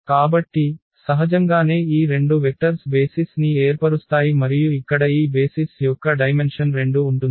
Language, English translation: Telugu, So, naturally these two vectors will form the basis and the dimension of this basis here will be 2